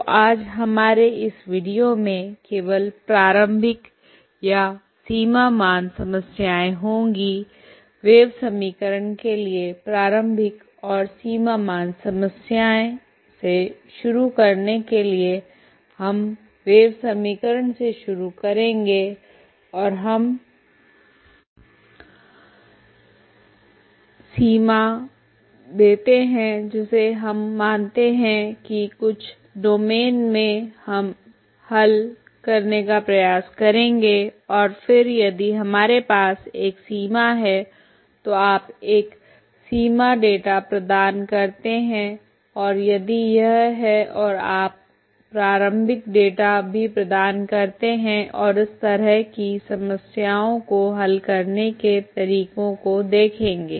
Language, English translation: Hindi, So today we will just this video will have initial or boundary value problems, initial and boundary value problems for wave equation to start with so will start with the wave equation and we give the boundary we consider the domains in certain domains will try to solve the wave equation and then if it required if we have a boundary, you provide a boundary data and if its and we, and you also provide initial data and will see the methods how to solve this kind of problems ok